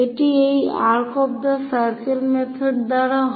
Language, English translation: Bengali, This is by arcs of circle method